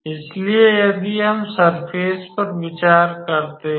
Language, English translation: Hindi, So, if we consider the surface